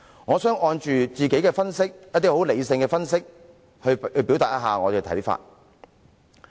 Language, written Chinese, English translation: Cantonese, 我想按照自己一些很理性的分析來表達我的看法。, I wish to express my views based on my own rational analysis